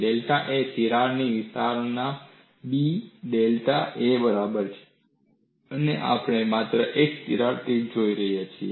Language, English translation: Gujarati, Delta A is equal to B into delta a of the crack extension, and we are looking at only one crack tip